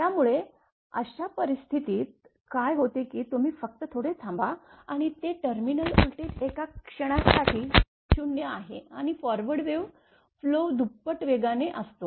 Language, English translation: Marathi, So, in that case in that case what will happen that you are just hold on and, so the terminal voltage is momentarily 0 and the current of the forward wave right is momentarily double